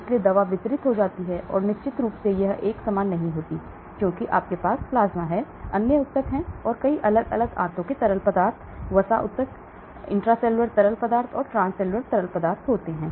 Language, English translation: Hindi, so the drug gets distributed and of course it is not uniform because you have plasma, we have the other tissues, so many different intestinal fluids, fat tissues, intracellular fluids, transcellular fluids